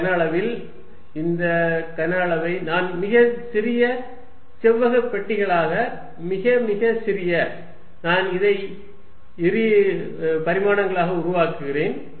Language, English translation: Tamil, In this volume I divide this volume into very small rectangular boxes very, very small I am making into two dimensions